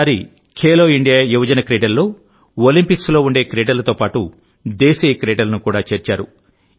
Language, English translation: Telugu, For example, in Khelo India Youth Games, besides disciplines that are in Olympics, five indigenous sports, were also included this time